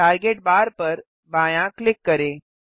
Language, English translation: Hindi, Left click the target bar